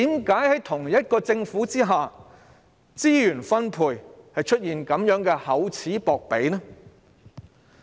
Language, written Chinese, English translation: Cantonese, 為何同一個政府在資源分配上會這樣厚此薄彼？, Why does the same Government favour one so much over another in resource allocation?